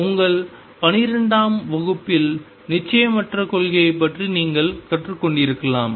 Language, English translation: Tamil, You may have learned about uncertainty principle in your 12 th grade this is the statement